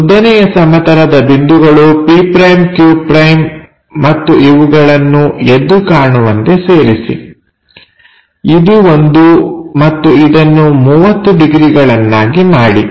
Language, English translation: Kannada, So, vertical plane points p’ q’ and join this by darker one, oh this is the one and make it 30 degrees